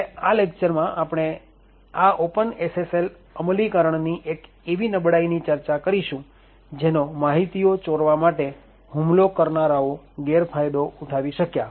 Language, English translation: Gujarati, Now, what we will discuss in this particular lecture is one particular vulnerability in this open SSL implementation which had got exploited by attackers to steal informations